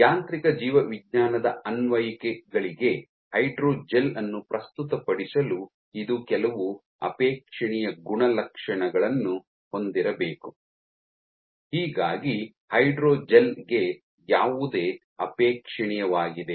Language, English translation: Kannada, So, for making a hydrogel relevant for mechanobiological applications what should be some of the desirable properties, what is desirable for a hydrogel